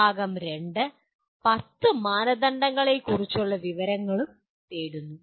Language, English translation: Malayalam, Part 2 seeks information on 10 criteria